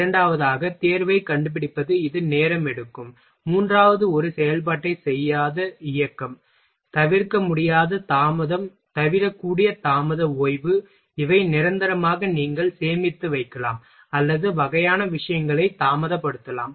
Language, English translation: Tamil, Second one is find selection this takes time, and third one is motion that do not perform an operation, at the hold unavoidable delay avoidable delay rest, these are the motions which is for permanent you can storage or delay kind of thing